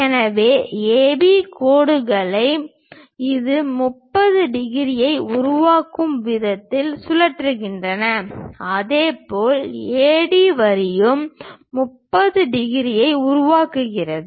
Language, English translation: Tamil, So, we rotate in such a way that AB lines this makes 30 degrees and similarly, AD line also makes 30 degrees